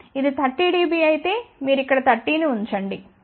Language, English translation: Telugu, If it is 30 dB, you just put 30 over here